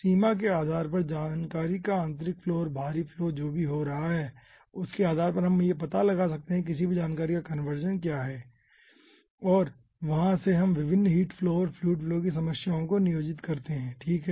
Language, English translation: Hindi, okay, based on the boundary ah, whatever inflow and outflow of information is coming in or out, depending on that, we find out what is the conservation of any information, and from there we ah employ different ah heat flow and fluid flow problems